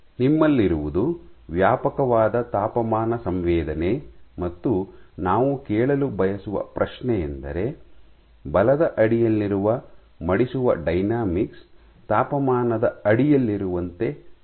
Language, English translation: Kannada, So, what you have is a vast range of temperature sensitivity, and the question we wish to ask is does the folding unfold does the folding dynamics under forces behave similarly to that under temperature